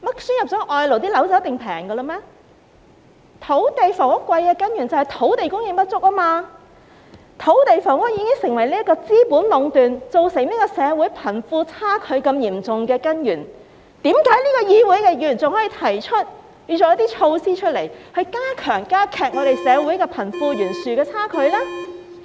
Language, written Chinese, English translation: Cantonese, 土地及房屋昂貴的根源是土地供應不足，土地房屋已成為資本壟斷，也是造成社會貧富差距嚴重的根源，為何這個議會的議員仍建議推出一些措施來加劇社會貧富懸殊的情況呢？, The root cause of high land and housing prices is insufficient land supply . Capital monopolization has existed in land and housing which is also the root cause of the wide disparity between the rich and the poor in society . Why have Members of this Council still proposed to implement measures to widen the gap between the rich and the poor in society?